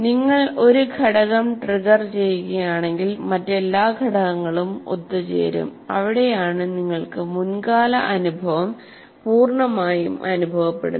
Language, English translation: Malayalam, So, anything that you trigger, all the other elements will come together and that is where you feel that the past experience completely